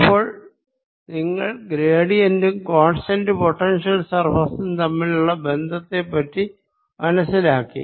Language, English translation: Malayalam, so you understood the relationship between gradient and constant potential surfaces